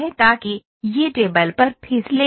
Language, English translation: Hindi, So, that it does not slip on the table